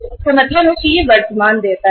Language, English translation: Hindi, It means this is the current liability